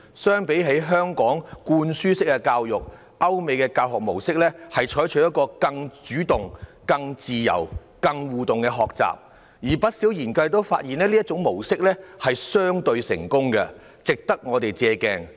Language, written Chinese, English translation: Cantonese, 相比起香港的灌輸式教育，歐美教學模式採取更主動、更自由和更多互動的學習方式，而不少研究發現，這種模式相對成功，值得我們借鏡。, Contrary to the spoon - fed education in Hong Kong the Western model of education adopts a more proactive flexible and interactive approach to learning . According to many research findings the Western model is relatively more successful and can serve as a useful reference for Hong Kong